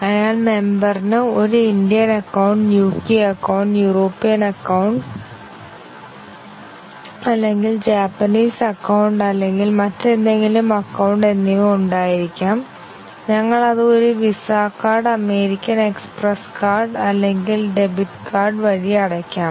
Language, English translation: Malayalam, So, the member might have an Indian Account, UK Account, European Union Account or Japanese Account or any other account and we might pay it through a VISA Card, American Express Card or a Debit Card